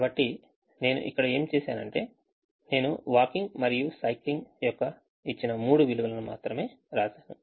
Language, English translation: Telugu, so what a done here is i have simply written the, the three given values of walking and and a cycling